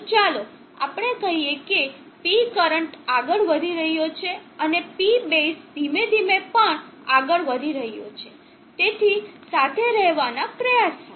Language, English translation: Gujarati, So let us say the P current is moving up and P base is slowly also moving try to catch up with it